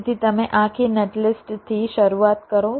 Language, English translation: Gujarati, so you start from the whole netlist